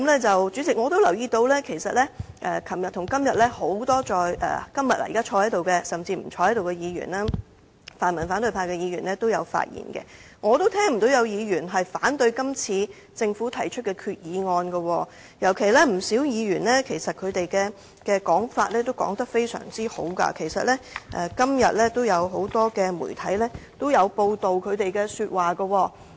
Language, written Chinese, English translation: Cantonese, 主席，我也留意到昨天和今天很多在席甚至現時不在席的議員，包括泛民反對派議員也有發言，而我也聽不到有議員反對政府提出的這項決議案，而且不少議員的意見都十分正面，今天不少媒體也有報道他們的發言。, President I have also taken note of the speeches delivered by many Members who are absent now but were here yesterday and today including the pan - democratic Members from the opposition camp . I have not heard any Member oppose this resolution proposed by the Government . Moreover the views expressed by quite many Members are most positive and their speeches have been reported by quite many media today too